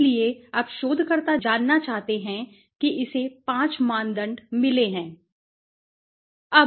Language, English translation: Hindi, So, now the researcher wants to know right it has got 5 criteria